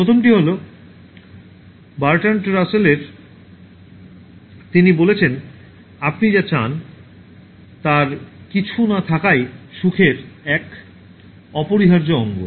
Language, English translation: Bengali, The first one is from Bertrand Russell, he says: “To be without some of the things you want is an indispensable part of happiness